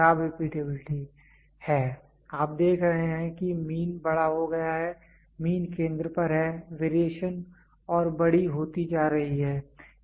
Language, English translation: Hindi, This is poor repeatability, you see the mean is becomes larger, the mean is at the center the variation is becoming larger and larger and larger